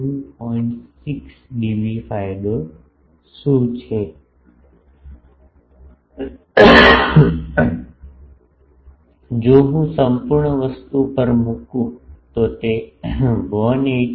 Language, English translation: Gujarati, 6 dB, that if I put to absolute thing it is 181